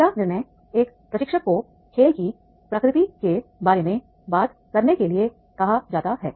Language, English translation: Hindi, The first decision that a trainer is called upon to take is regarding the nature of game